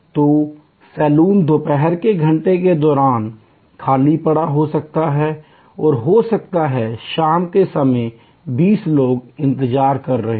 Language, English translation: Hindi, So, the saloon may be lying vacant during afternoon hours and may be 20 people are waiting in the evening hours